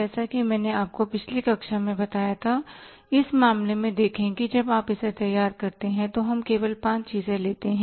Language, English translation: Hindi, As I told you in the last class, in this case, say when you prepare it, we take only five items